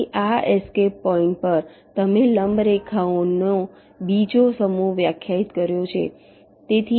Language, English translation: Gujarati, so on this escape points, you defined another set of perpendicular lines